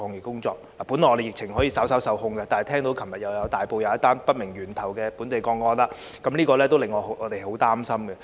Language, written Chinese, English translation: Cantonese, 我們的疫情本來可以稍稍受控，但大埔昨天又出現一宗不明源頭的本地個案，令我們很擔心。, Originally we had been able to bring the epidemic slightly more under control but yesterday there was a local case with unknown sources in Tai Po and this we think is gravely worrying